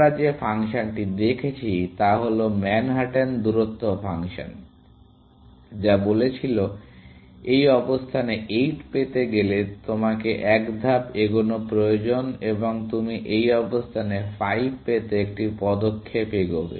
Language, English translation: Bengali, The other function that we saw was the Manhatten distance function, which said that you need one step to take 8 to this position, and you will take one step to get 5 to this position